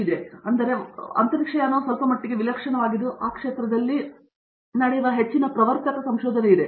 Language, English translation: Kannada, So in fact, because aerospace is somewhat exotic, so there is a lot of pioneering research that happens in this field